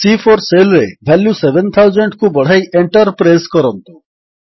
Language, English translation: Odia, Now, let us increase the value in cell C4 to 7000 and press the Enter key